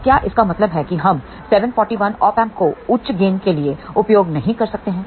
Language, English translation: Hindi, So, does that mean that we cannot use 741 Op Amp for a very high gain